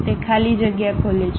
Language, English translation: Gujarati, It opens a blank space